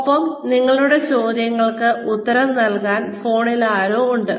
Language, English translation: Malayalam, And, there is somebody on the phone, to answer your questions